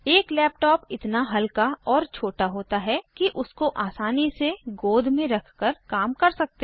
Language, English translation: Hindi, A laptop is small and light enough to sit on a persons lap, while in use